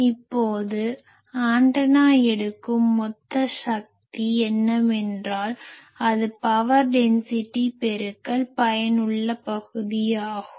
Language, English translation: Tamil, Now, point is whatever total power the antenna is taking that is nothing, but that power density multiplied by the effective area